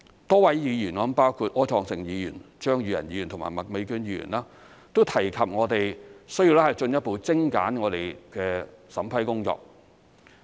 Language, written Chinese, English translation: Cantonese, 多位議員——包括柯創盛議員、張宇人議員和麥美娟議員——都提及我們需要進一步精簡我們的審批工作。, A number of Members including Mr Wilson OR Mr Tommy CHEUNG and Ms Alice MAK have mentioned the need for further streamlining of our vetting and approval procedures